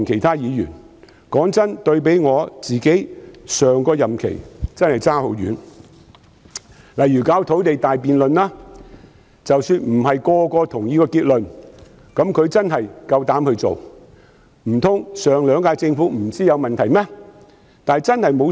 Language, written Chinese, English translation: Cantonese, 坦白說，對比我上個任期真的相差很遠，例如土地大辯論，即使不是每個人都認同結論，但她至少敢於處理，難道上兩屆政府不知道問題所在嗎？, Frankly speaking this differs greatly from the situation in my previous term of office . Take the grand debate on land supply as an example even though not everyone agrees with the conclusion but at least she dared to deal with it . Were the Governments of the previous two terms not aware of where the problem laid?